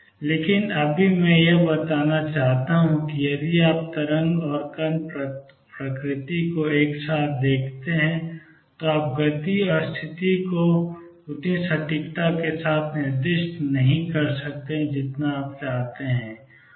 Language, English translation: Hindi, But right now just I wanted to convey that if you look at the wave and particle nature together, you cannot specify the momentum and position to as much as accuracy as you like